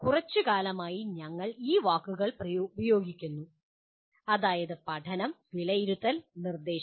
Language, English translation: Malayalam, We have been using these words for quite some time namely the learning, assessment, and instruction